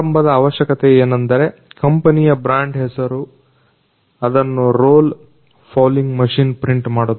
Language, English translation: Kannada, The initial requirement is the brand name of the company which is printed by the roll fouling machine